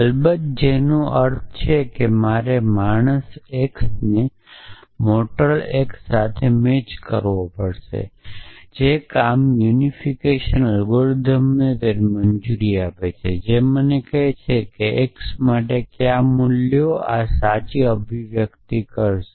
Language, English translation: Gujarati, So, which means of course, I will have to match this man x with mortal x with man sonatas which is work the unification algorithm will allow it do it will tell me what values for x will make this true expressions